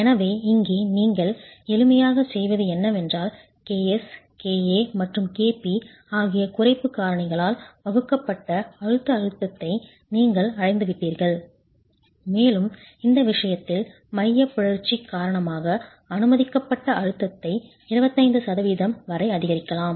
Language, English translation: Tamil, So here what you would simply do is you have arrived at the compressive stress divided by the reduction factors, K, A, KP and KS, you further divide that by, in this case, increase in permissible stress due to eccentricity is allowed up to 25%